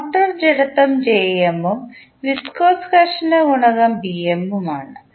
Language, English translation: Malayalam, Motor inertia is jm and viscous friction coefficient is Bm